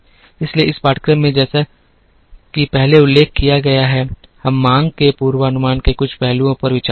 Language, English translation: Hindi, So, in this course as mentioned earlier, we would do some aspects of demand forecasting